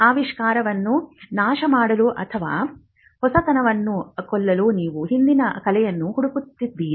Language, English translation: Kannada, You would be looking for prior art to destroy the invention, or which can kill the novelty